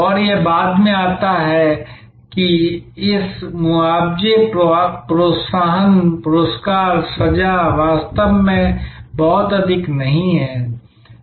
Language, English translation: Hindi, And this comes later, this compensation, incentives, rewards, punishment really does not have much of a position